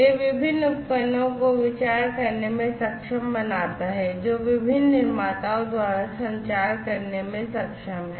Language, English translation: Hindi, So, it enables the different devices thought that are you know produced by different manufacturers to be able to communicate